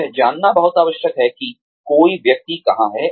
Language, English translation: Hindi, It is very essential to know, where one is headed